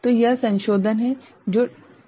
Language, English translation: Hindi, So, this is the modification that is done ok